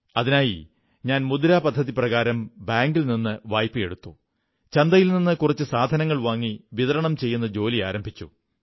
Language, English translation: Malayalam, She got some money from the bank, under the 'Mudra' Scheme and commenced working towards procuring some items from the market for sale